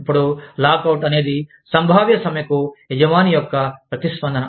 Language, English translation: Telugu, Now, lockout is the response of an employer, to a potential strike